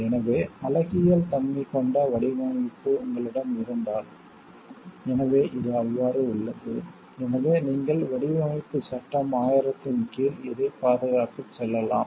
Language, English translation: Tamil, So, if you have a design which is of aesthetic nature; so, which is so, so you can go for the protection of this under the Designs Act 2000